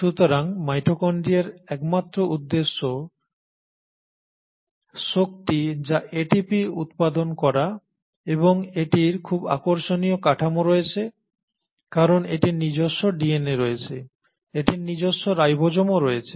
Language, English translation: Bengali, So mitochondria, its sole purpose is the generation of energy that is ATP and it has very interesting structure because it has its own DNA, it also has its own ribosomes